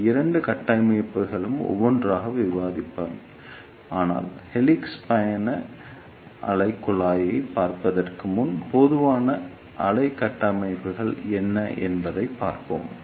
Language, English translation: Tamil, I will discuss these two structures one by one, but before looking into the helix travelling wave tube let us see what are slow wave structures